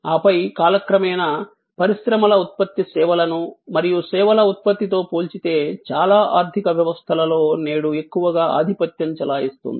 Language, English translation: Telugu, And then over time, industry output was less compare to services and services output dominates today most in the most economies